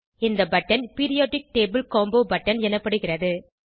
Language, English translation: Tamil, This button is known as Periodic table combo button